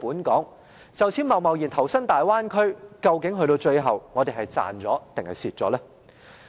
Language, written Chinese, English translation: Cantonese, 若就此貿然投身大灣區，究竟最後我們是賺是賠呢？, If we rashly devote ourselves to the Bay Area are we going to win or lose in the end?